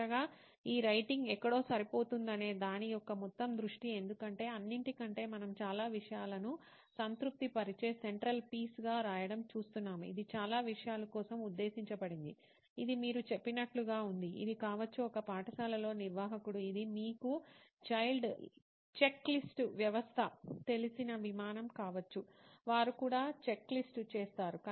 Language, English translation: Telugu, And lastly the overall view of where this writing fits in because after all we are looking at writing as a central piece where it is satisfying so many things, it is meant for so many things, it could be like you said, it could be for an admin in a school, it could be an aircraft you know checklist system also they also do a checklist, right